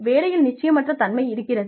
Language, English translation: Tamil, There is uncertainty at work